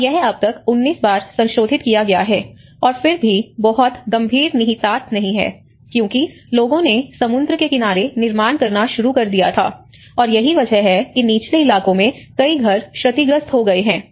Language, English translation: Hindi, And it has been revised 19 times still there, and even then there is not much serious implication that people started building near the sea shore, and that is where many of the houses have been damaged in the low lying areas